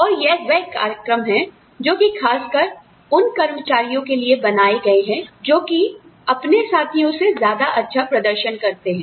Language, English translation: Hindi, And, these are programs, that are specifically designed, to reward the employees, that perform better than their peers